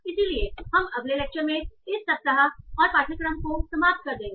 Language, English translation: Hindi, So we will, so we will end this week and also the course in the next lecture